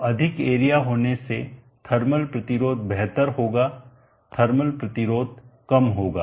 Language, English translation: Hindi, So greater the area better will be the thermal resistance lower will be the thermal resistance